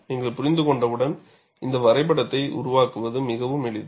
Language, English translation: Tamil, Once you understand it, constructing this diagram is fairly simple